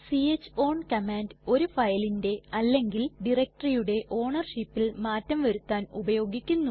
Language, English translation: Malayalam, c h own command is used to change the ownership of the file or directory